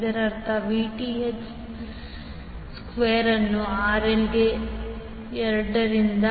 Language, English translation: Kannada, That means Vth square into RL by 2